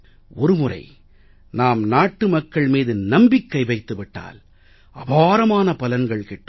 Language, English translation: Tamil, Once we place faith and trust in the people of India, we can get incomparable results